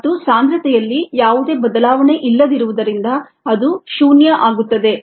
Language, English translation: Kannada, since there is no change in concentration, that goes to be, that goes to zero